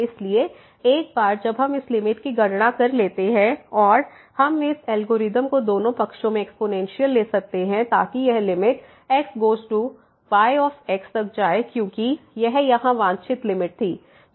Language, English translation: Hindi, So, once we compute this limit and we can take this algorithm exponential both the sides to get this limit goes to a because this was the desired limit here this was the